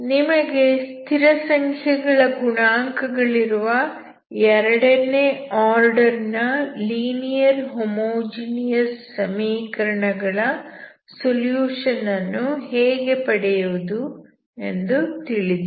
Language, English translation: Kannada, So you know how to solve second order linear homogeneous equation with constant coefficients, we can also extend this technique to higher order